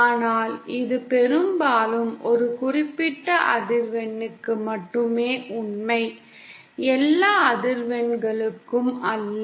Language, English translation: Tamil, But then often it happens that this is true only for a particular frequency, not for all frequencies